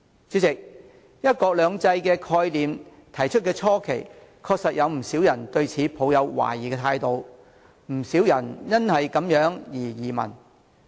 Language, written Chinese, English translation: Cantonese, 主席，提出"一國兩制"概念的初期，確實有不少人對此抱有懷疑，不少人因而移民。, President when the idea of one country two systems was first raised many people did have great doubts and many emigrated to other countries